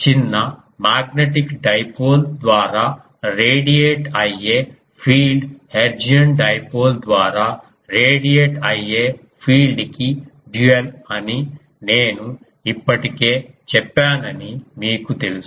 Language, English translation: Telugu, And we know um I already said that the field radiated by a small magnetic dipole is dual to the field radiated by a hertzian dipole are current element